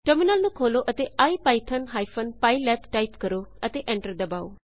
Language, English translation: Punjabi, Open the terminal and type ipython pylab and hit enter